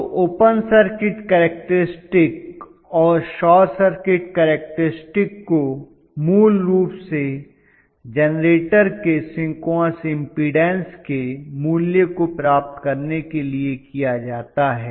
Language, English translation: Hindi, So the open circuit characteristics and short circuit characteristics basically are done mainly to get the synchronous impedance value of the generator